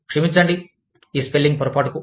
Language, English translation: Telugu, I am sorry, for this spelling mistake